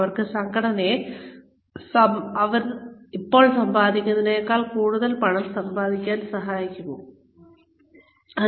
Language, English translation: Malayalam, Will they be able to help the organization, make even more money than, it is making currently